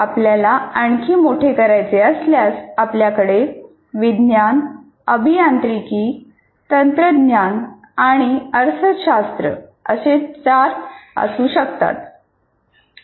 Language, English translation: Marathi, And if you want to again expand, you can have four science, engineering, technology, and I can call it economics